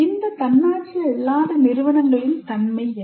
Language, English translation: Tamil, Now, what is the nature of this non autonomous institution